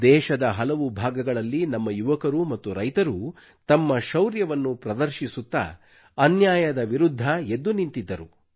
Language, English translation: Kannada, In many parts of the country, our youth and farmers demonstrated their bravery whilst standing up against the injustice